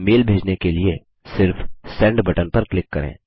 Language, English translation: Hindi, Now, to send the mail, simply click on the Send button